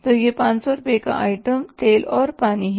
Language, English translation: Hindi, So this is 500 rupees item oil and water then we have rent